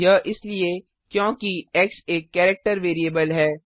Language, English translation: Hindi, This is because x is a character variable